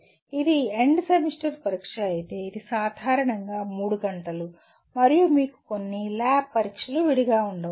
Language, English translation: Telugu, If it is end semester exam, it is generally about 3 hours and you may have some lab exam separately